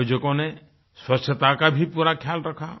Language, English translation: Hindi, The organizers also paid great attention to cleanliness